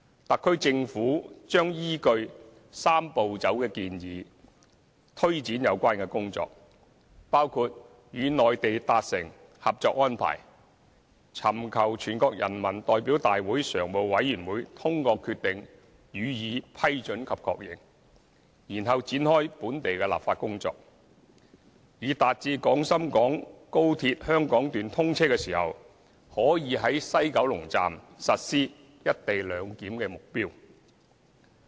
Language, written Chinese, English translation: Cantonese, 特區政府將依據"三步走"建議推展有關工作，包括與內地達成《合作安排》，尋求全國人民代表大會常務委員會通過決定予以批准及確認，然後展開本地立法工作，以達致廣深港高鐵香港段通車時可在西九龍站實施"一地兩檢"的目標。, The SAR Government will take forward the tasks in accordance with the Three - step Process proposal including reaching a Co - operation Arrangement with the Mainland seeking the approval and endorsement of the Co - operation Arrangement by the Standing Committee of the National Peoples Congress through a decision to be made by the Standing Committee and commencing the local legislative process thereafter so as to meet the target of implementing the co - location arrangement at the West Kowloon Station upon the commissioning of the Hong Kong Section of XRL